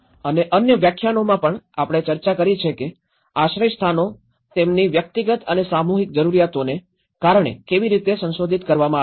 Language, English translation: Gujarati, And in other lectures also we have discussed how these shelters have been modified for that because of their individual and collective needs